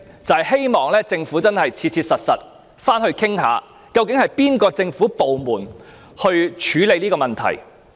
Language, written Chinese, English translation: Cantonese, 我希望政府能切實展開討論，究竟應由哪個政府部門處理這問題。, I hope the Government can practically commence its discussion on which government department should be made responsible for dealing with the matter